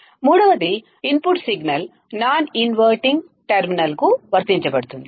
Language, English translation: Telugu, Third, the input signal is applied to the non inverting terminal